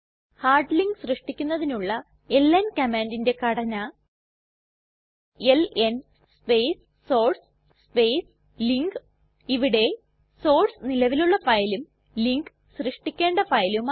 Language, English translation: Malayalam, ln is the command to make link The syntax of ln command to create the hard link is ln space source space link Where, source is an existing file and link is the file to create